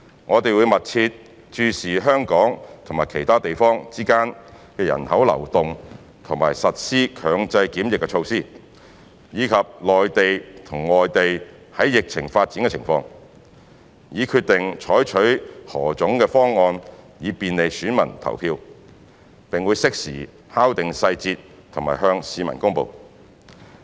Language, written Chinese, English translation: Cantonese, 我們會密切注視香港與其他地方之間的人口流動及實施強制檢疫措施，以及內地和外地的疫情發展情況，以決定採取何種方案以便利選民投票，並會適時敲定細節及向市民公布。, 599E by extending their validity . We shall closely monitor movement of people between Hong Kong and other places and implement compulsory quarantine measures as well as development of the epidemic situation in the Mainland and overseas in order to decide the plan to be adopted to facilitate electors to vote . We will finalize the details and announce them to the public in due course